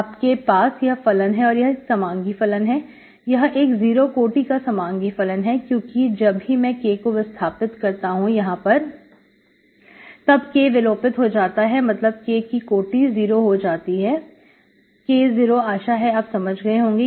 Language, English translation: Hindi, So you can have, these are the, these are the homogeneous, this is a homogeneous function of degree 0 because whenever I replace K here, K here, K cancels, finally K power 0